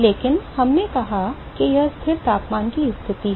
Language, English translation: Hindi, But we said it is a constant temperature condition